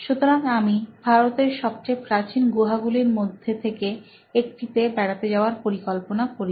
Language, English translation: Bengali, So, I planned a trip to one of India’s ancient caves